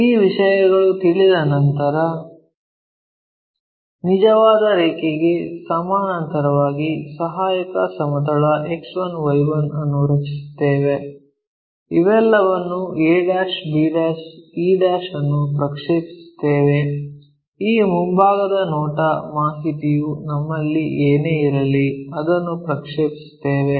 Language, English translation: Kannada, Once these things are known, parallel to the true line we will draw an auxiliary plane X 1, Y 1, project all these a, b', e' whatever this front view information we have it, we project it